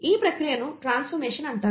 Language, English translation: Telugu, This process is what you call as transformation